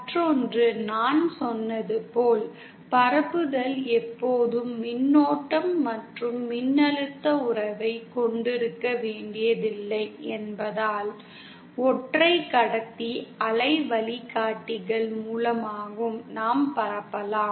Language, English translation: Tamil, And the other as I said, since propagation need not always have a current and voltage relationship, so we can also have propagation through single conductor waveguides